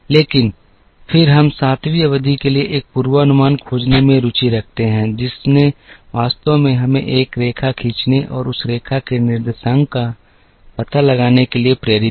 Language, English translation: Hindi, But, then we are interested in finding a forecast for the seventh period, which actually led us to drawing a line and finding out the coordinates of that line